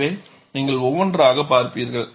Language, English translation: Tamil, So, we will see one by one